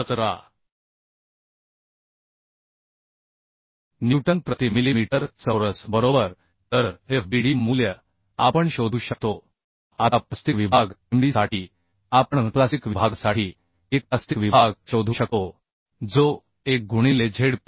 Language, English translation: Marathi, 17 newton per millimetre square right So fbd value we could find out Now for plastic section Md we can find out plastic section for plastic section it will be 1 into Zp was 687